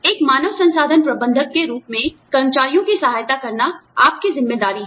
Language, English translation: Hindi, As an HR manager, it is your responsibility, to support the employees